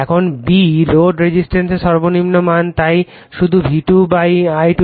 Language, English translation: Bengali, Now, b, minimum value of load resistance so, = just V2 / I2